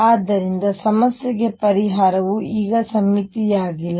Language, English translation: Kannada, And therefore, the solution is not symmetry now to the problem